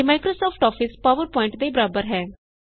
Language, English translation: Punjabi, It is the equivalent of Microsoft Office PowerPoint